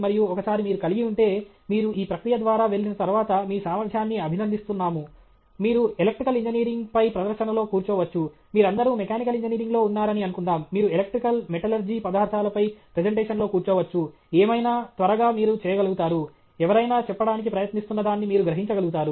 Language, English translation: Telugu, , and once you have… once you have gone through this process, your ability to appreciate, even you can sit in a presentation on electrical engineering, suppose all of you are in mechanical engineering, you can sit in presentation on electrical, metallurgy materials, whatever, then, quickly, you will be able to… you will be able to grasp what somebody is trying to say okay